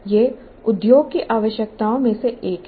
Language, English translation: Hindi, This is one of the requirements of the industry